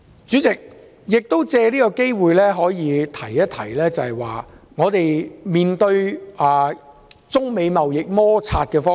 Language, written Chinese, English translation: Cantonese, 主席，我藉此機會談談我對香港面對中美貿易摩擦的意見。, President I wish to take this opportunity to express my views about Hong Kongs position amid the trade conflicts between China and the United States